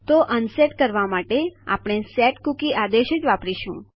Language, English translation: Gujarati, So to unset we use the same command and thats setcookie